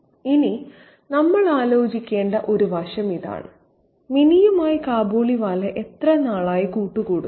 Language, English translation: Malayalam, Now this is an aspect that we need to think about, that is, how long has Kabaliwala been in association with Minnie